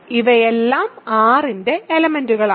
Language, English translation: Malayalam, So, these are all elements of R